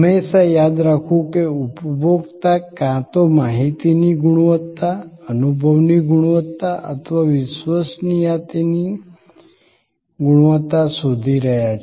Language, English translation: Gujarati, Always, remembering that the consumer is looking either for the information quality, experience quality or credence quality